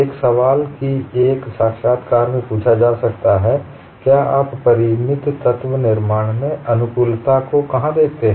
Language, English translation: Hindi, One of the questions that could be asked an interview is where do you see compatibility infinite element formulation